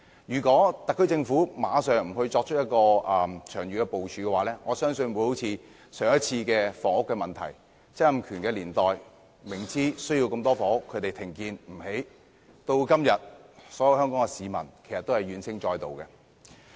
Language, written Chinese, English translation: Cantonese, 如果特區政府不立即作出長遠部署，我相信曾蔭權年代的房屋問題將會重現，即明知需要大量房屋，但政府卻停建，以致香港市民今天怨聲載道。, If the Special Administrative Region SAR Government fails to make any long - term planning at once I believe the housing problem in the Donald TSANG era will emerge again . By this I mean that the Government ceases housing construction despite its full awareness of the need for a large number of housing units thus causing grievances among Hong Kong people nowadays